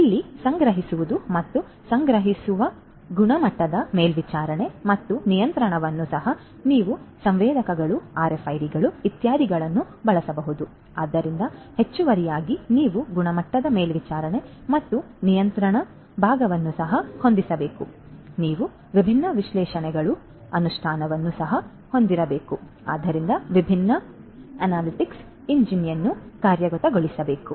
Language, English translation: Kannada, So, stocking in and stocking out and quality monitoring and control here also you could use the sensors RFIDs etcetera, but additionally you could you should also have particularly for the monitoring and control part of quality, you should also have the implementation of different analytics, so different analytics engines should be implemented